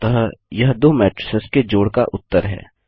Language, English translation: Hindi, So there is the result of the addition of two matrices